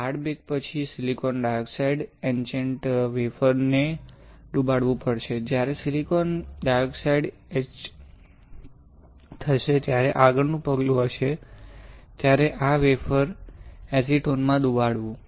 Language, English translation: Gujarati, After hard bake you have to dip the wafer in silicon dioxide etchant, when silicon dioxide gets etched the next step would be, will dip this wafer in acetone